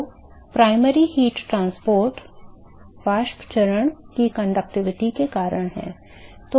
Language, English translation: Hindi, So, the primary heat transport is because of the conductivity of the vapor phase ok